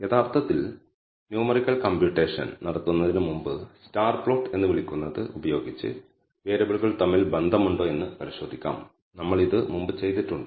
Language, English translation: Malayalam, We can also before we actually do numerical computation, we can check whether there is an association between variables by using what is called the scatter plot, we have done this before